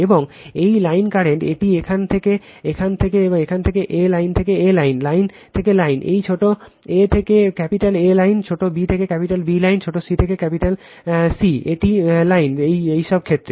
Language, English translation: Bengali, And this is the line current this is the current from here to here line a to A is the line, line to line, this small a to A is line, small b to B is line, small c to capital C, it is line, all these cases